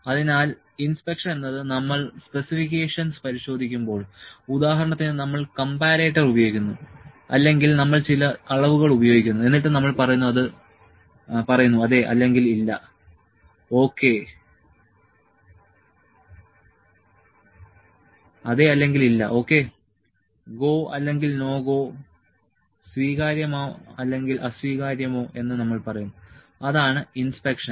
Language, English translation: Malayalam, So, inspection is when we just check the specifications, like we use comparator or we use some measurement and we said yes or no, ok, GO or NO GO, acceptable not acceptable that is the inspection